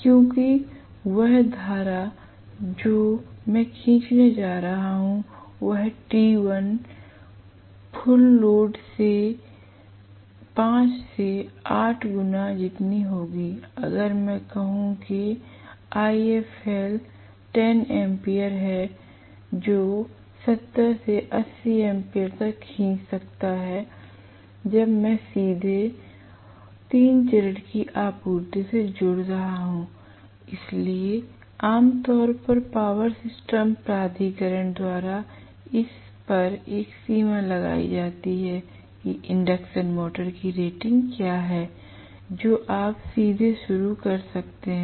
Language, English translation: Hindi, Because that current that I am going to draw will be as high as 5 to 8 times, the TI full load, if I say I full load 10 ampere I might draw as high as 70 to 80 amperes when I am connecting directly to a 3 phase supply, so normally power system power system authority is put a limit on what is the rating of the induction motor, you can directly start